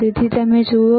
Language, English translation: Gujarati, What you will able to see